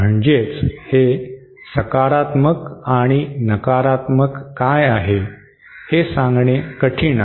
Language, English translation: Marathi, That is, it is difficult to say which is the positive and negative